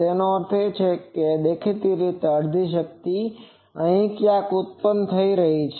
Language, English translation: Gujarati, That means, obviously, half power is occurring somewhere here